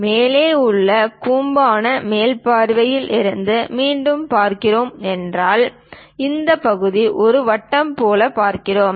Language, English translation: Tamil, So, if we are looking from top view for this cone again, this part we see it like a circle